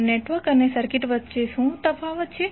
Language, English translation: Gujarati, So what are the difference between network and circuit